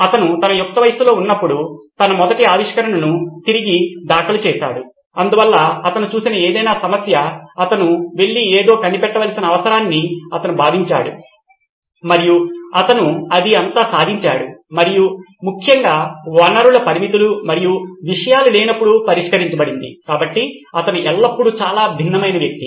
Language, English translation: Telugu, He had filed his first invention way back when he was in his teens, so any problem anything that he saw, he felt the need to go and invent something and that’s how prolific he was and particularly when there were resource constraints and things could not be solved, so he is always a very different kind of person